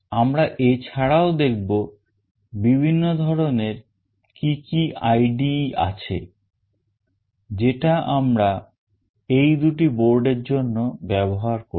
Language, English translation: Bengali, We will also look into what are the various kinds of IDE that we will be using for the two boards